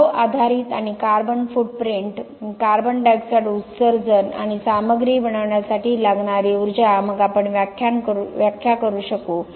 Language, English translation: Marathi, The impact based and the carbon footprint, the CO2 emissions and the energy consume to make a Material then we would be able to do the interpretation